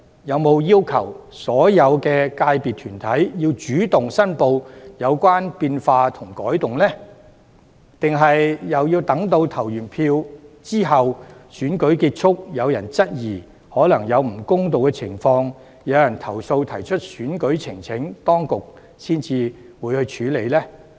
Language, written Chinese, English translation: Cantonese, 有否要求所有界別團體主動申報有關變化和改動，抑或要待選舉結束後，有人質疑可能有不公道的情況，提出投訴及選舉呈請時，當局才會處理呢？, Have they required all corporates of FCs to take the initiative to report the relevant changes and modifications? . Or they have to wait until the election is over and would only deal with them when people have questioned unjust situations and made complaints as well as election petitions?